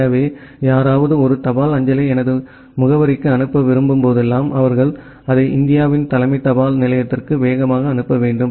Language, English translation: Tamil, So, whenever someone is wanting to forward a postal mail to my address, they have to fast forward it to the say head post office of India